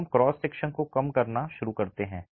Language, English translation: Hindi, So we start reducing the cross sections